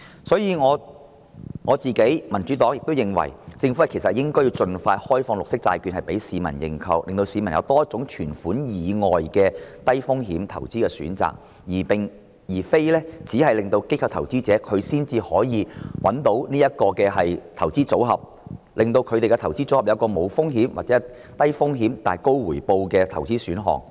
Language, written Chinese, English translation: Cantonese, 所以，我和民主黨均認為，政府應該盡快開放綠色債券供市民認購，令市民有多一種在存款以外的低風險投資選擇，而並非只有機構投資者才可以選擇這個投資組合，令市民的投資組合可有一個無風險或低風險但高回報的投資選項。, The Democratic Party and I think the Government should open as early as possible green bonds for public subscription as another low - risk investment option other than bank deposit . It should not be limited to institutional investors but should be made available to the public as a risk - free or low - risk investment option with high returns in their investment portfolios